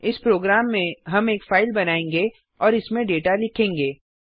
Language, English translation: Hindi, This is how we create a file and write data into it